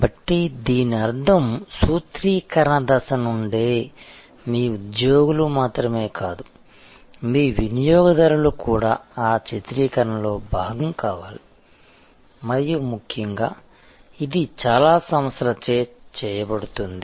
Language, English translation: Telugu, So, which means that right from the formulation stage, not only your employees, but even your customers should be part of that formulation and more importantly, this is done by many organizations